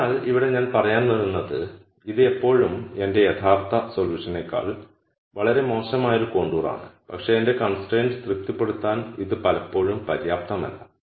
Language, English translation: Malayalam, So, I come up to let us say here and this is still a contour which is much worse than my original solution, but it is still not enough for me to satisfy my constraint